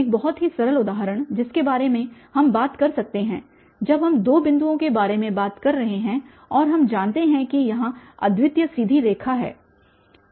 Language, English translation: Hindi, A very simple example, which we can talk about that when we are talking about the two points and we know that, there is unique straight line